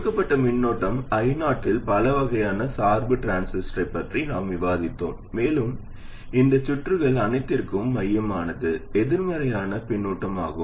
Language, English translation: Tamil, We have discussed four varieties of biasing a transistor at a given current i0 and central to all these circuits is negative feedback